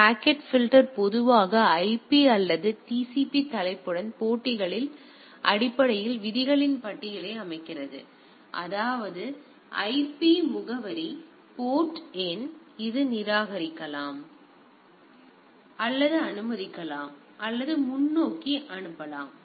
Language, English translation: Tamil, The packet filter typically setup for a list of list of rules based on the matches with the IP or the TCP header; that means, IP address port number etcetera; so, it can discard or allow or forward